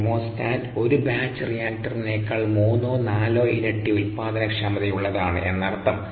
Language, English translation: Malayalam, and what does this say: inherently the chemostat is three to four times more productive than a batch reactor